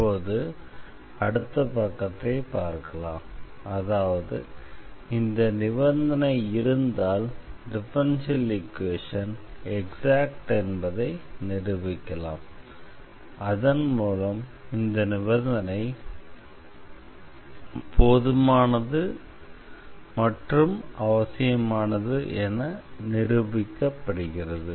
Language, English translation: Tamil, And now we will look the other way around, that if this condition holds then we will show that the equation is exact and that we will complete the proof of this necessary and sufficient condition